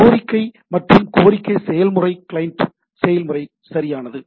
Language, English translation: Tamil, And the request requesting process is the client process right